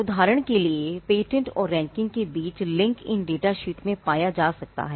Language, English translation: Hindi, For instance, the link between patents and ranking can be found in these data sheets